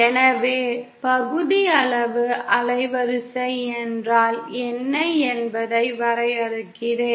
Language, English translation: Tamil, So let me define what is fractional band width